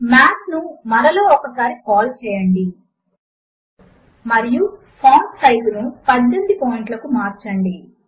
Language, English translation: Telugu, Call Math again and change the font to 18 point and align them to the left